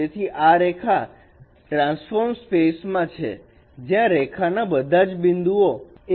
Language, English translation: Gujarati, So this line in the transformed space where the all the points of on line L they are lying now